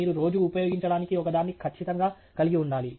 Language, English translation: Telugu, You should definitely have one which you use on a regular basis